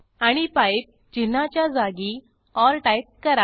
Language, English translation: Marathi, And replace pipe symbol with the word or